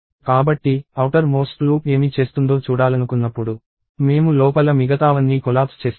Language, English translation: Telugu, So, when I want to see what the outer most loop is doing, I collapse everything else inside